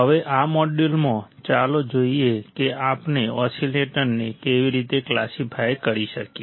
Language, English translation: Gujarati, Now, in this module, let us see how we can classify the oscillators; how we can classify these oscillators